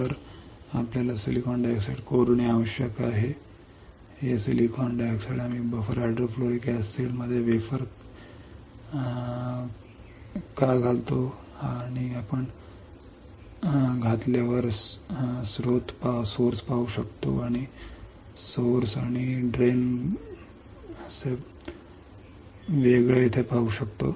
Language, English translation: Marathi, So, you have to etch the silicon dioxide, this silicon dioxide we can etch why lasing the wafer in buffer hydrofluoric acid and you can see source and drain you can see source and drain right over here